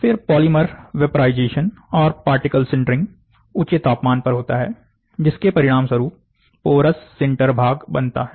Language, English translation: Hindi, [NG1] Then the polymer vaporization and particle sintering at elevated temperature happens, resulting in the porous sinter component